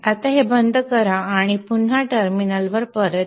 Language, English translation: Marathi, Again go to the desktop and open a terminal